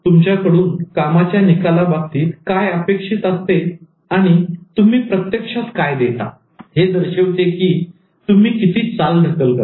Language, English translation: Marathi, What is expected from you in terms of delivering and what you actually deliver, that indicates how much you procrastinate